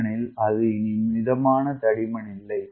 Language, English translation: Tamil, what is a moderate thickness